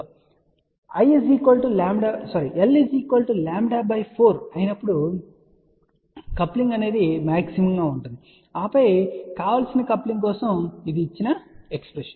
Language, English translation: Telugu, So, coupling is maximum for l equal to lambda by 4 and then for desired coupling this is the expression given ok